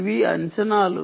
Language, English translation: Telugu, these are estimations